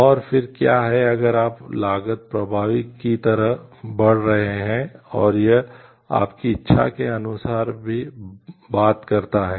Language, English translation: Hindi, And what is then if you are moving like cost effective is and it also talks somewhere of your willingness